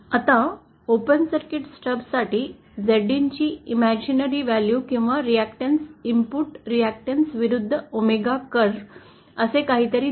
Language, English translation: Marathi, Now for and open circuit stub, the imaginary value of Z in or the reactance, input reactance vs omega curve looks something like this